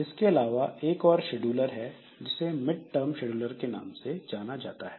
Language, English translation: Hindi, And also there is another scheduler which is known as mid midterm scheduler